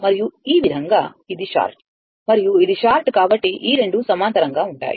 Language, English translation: Telugu, And this way, as this is short and this is short this 2 are in parallel